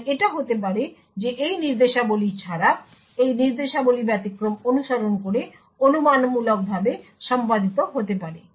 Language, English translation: Bengali, So it may happen that these instructions without these instructions following the exception may be speculatively executed